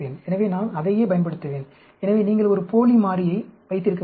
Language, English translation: Tamil, So, I will use the same, so, you can have one dummy variables